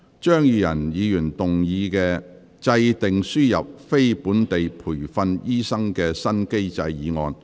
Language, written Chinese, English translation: Cantonese, 張宇人議員動議的"制訂輸入非本地培訓醫生的新機制"議案。, Mr Tommy CHEUNG will move a motion on Formulating a new mechanism for importing non - locally trained doctors